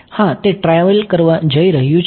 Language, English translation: Gujarati, Yeah, it's going to travel